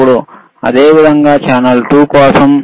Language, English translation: Telugu, Now, similarly for channel 2, all right,